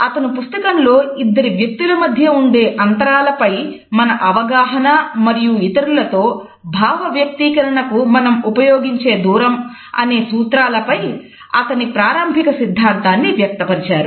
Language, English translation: Telugu, He has put across in this book his seminal theory about our perception of a space and use of interpersonal distances to mediate their interactions with other people